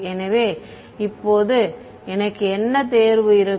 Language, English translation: Tamil, So now, what choice do I have